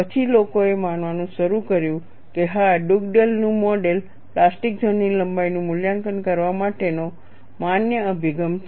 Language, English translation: Gujarati, See, you will have to note, when Dugdale developed his model, he has got the extent of plastic zone length